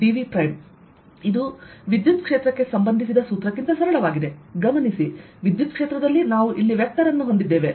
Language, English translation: Kannada, notice that this is simpler than the corresponding formula for the electric field, where we had a vector